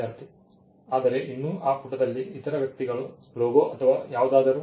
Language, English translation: Kannada, Student: But still in that page that the other persons logo, or whatever